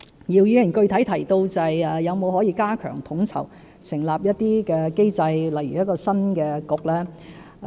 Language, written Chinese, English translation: Cantonese, 姚議員具體提到可否加強統籌，設立一些機制，例如新的政策局。, Mr YIU specifically mentioned the strengthening of coordination and the establishment of mechanisms such as the establishment of a new Policy Bureau